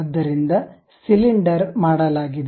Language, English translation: Kannada, So, cylinder is done